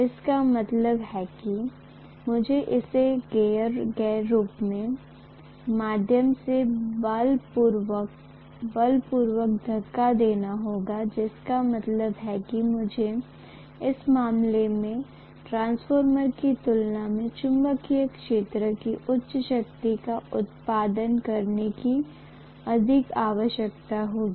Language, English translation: Hindi, That means I have to forcefully push it through the air gap which means I will require more current to produce a higher strength of the magnetic field as compared to what I would require in the case of a transformer